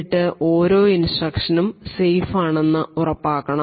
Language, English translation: Malayalam, Now we ensure that the instructions are safe instructions